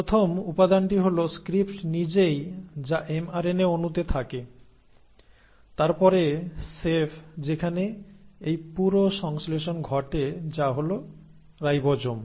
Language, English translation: Bengali, The first ingredient is the script itself which is in the mRNA molecule, then the chef where this entire synthesis happens which are the ribosomes